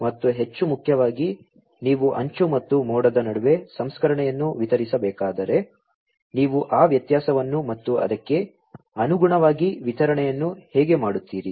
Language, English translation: Kannada, And more importantly, if you have to distribute the processing between the edge and the cloud, then how do you make that differentiation and correspondingly the distribution